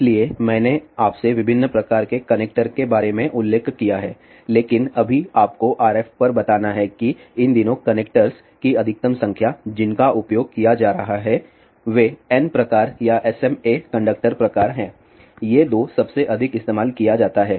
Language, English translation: Hindi, So, I did mention to you about different types of connector, but just to tell you at RF these days the maximum number of connectors which are being used are N type or SMA conductor type these are the two most commonly used